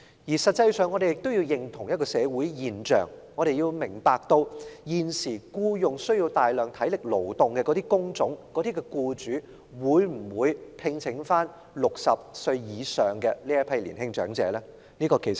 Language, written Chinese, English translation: Cantonese, 事實上，我們也要認清一種社會現象，要明白現時需要大量體力勞動的工種的僱主會否聘用60歲以上的年青長者。, In fact we also need to recognize a social phenomenon and think about whether employers currently offering jobs that require heavy manual labour will employ those young - olds aged above 60